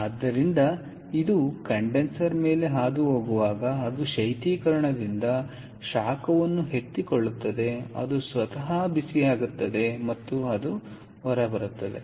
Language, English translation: Kannada, so as it goes to the condenser, it picks up heat from the refrigerant and this temperature goes up, ok, by flowing through the condenser